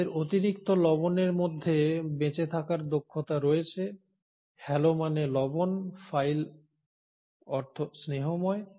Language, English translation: Bengali, They have an ability to survive in high salt, halo means salt, phile means loving